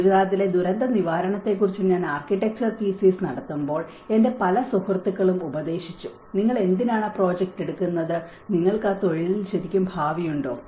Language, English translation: Malayalam, When I was doing my architectural thesis on disaster recovery in Gujarat, many of my friends advised why are you taking that project, do you really have a future in that profession